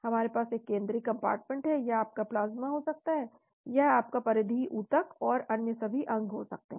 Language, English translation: Hindi, You have a central compartment this could be your plasma, this could be your peripheral tissue and all other organs